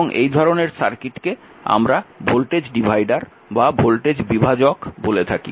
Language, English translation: Bengali, So, that is why it is called your voltage divider